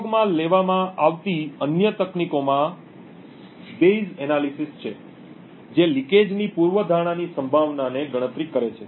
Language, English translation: Gujarati, Other techniques used are the Bayes analysis which computes the probability of the hypothesis given the leakage